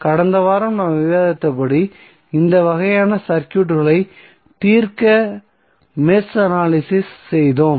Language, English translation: Tamil, As we discussed in last week we did match analysis to solve this kind of circuits